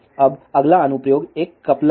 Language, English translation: Hindi, Now, the next application is a coupler